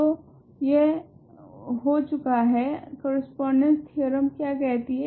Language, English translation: Hindi, So, this is done now, what does the correspondence theorem say